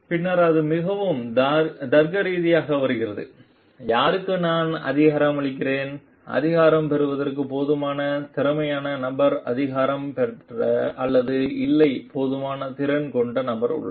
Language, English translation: Tamil, And then it comes very logically to whom am I empowering is the person competent enough to get empowered has the person capacity enough to get empowered or not